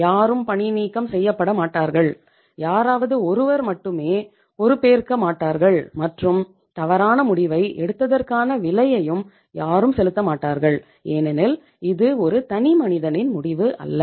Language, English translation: Tamil, So it means nobody will be fired, nobody will be solely held responsible and nobody will be say paying the price for taking a wrong decision because it was not a one man decision